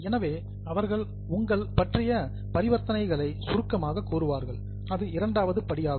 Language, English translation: Tamil, So, they would be summarizing the related transactions in the second step